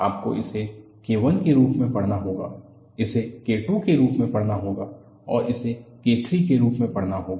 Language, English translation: Hindi, You have to read this as K I, read this as K II and read this as K III